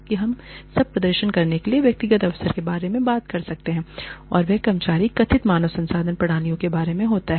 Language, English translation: Hindi, When we talk about, individual opportunity to perform, that is about, you know, employee perceived HR systems